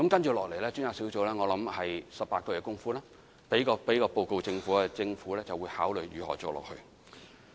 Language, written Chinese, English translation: Cantonese, 接下來專責小組在18個月後會提交報告予政府，讓政府考慮將來如何繼續工作。, Next the Task Force will submit a report to the Government in 18 months time allowing the Government to decide the continuation of its work